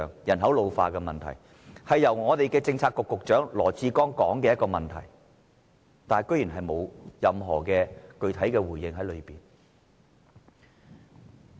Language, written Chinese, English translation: Cantonese, 人口老化問題是政策局局長羅致光提出的，但他居然沒有就這方面作出任何具體回應。, The ageing population is an issue brought up by Secretary LAW Chi - kwong but to our surprise the Financial Secretary does not make any specific response to the problem